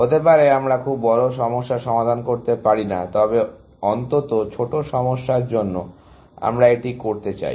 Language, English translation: Bengali, Maybe, we cannot solve very big problems, but at least, for the smaller problems, we want that, essentially